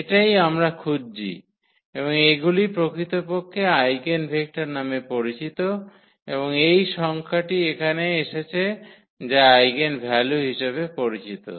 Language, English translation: Bengali, And, that is what we are looking for and these are called actually the eigenvectors and this number which has come here that will be called as eigenvalues